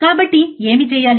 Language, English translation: Telugu, So, for what to do that